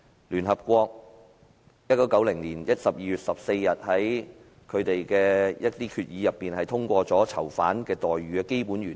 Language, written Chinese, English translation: Cantonese, 聯合國1990年12月14日在決議中通過囚犯待遇的基本原則。, Such as the Basic Principles for the Treatment of Prisoners adopted by the United Nations General Assembly at the 68 plenary meeting on 14 December 1990